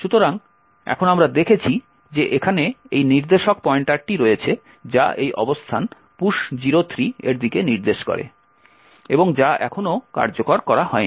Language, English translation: Bengali, So, now we have seen that there is the instruction pointer pointing to this location push 03 which has not yet been executed